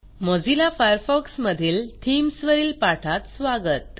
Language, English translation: Marathi, Welcome to this spoken tutorial on Themes in Mozilla Firefox